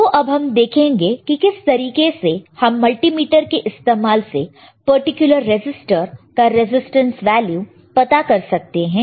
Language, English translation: Hindi, So, we will see how we can use the multimeter to understand what kind of what is our what is a resistance value of this particular resistors all right